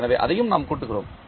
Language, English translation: Tamil, So, that also we add